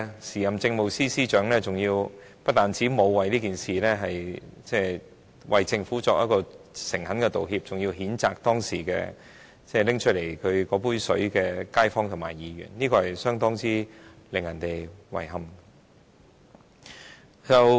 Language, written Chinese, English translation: Cantonese, 時任政務司司長不但沒有代表政府為這件事誠懇道歉，還譴責當時拿出這杯水的街坊，令人感到相當遺憾。, Regrettably the then Chief Secretary for Administration not only did not apologize sincerely on behalf of the Government but blamed the resident who made the request